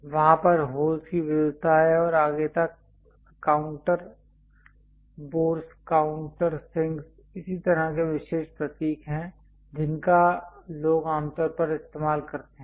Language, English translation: Hindi, There are variety of holes and so on so, things like counter bores countersinks and so on there are special symbols people usually use it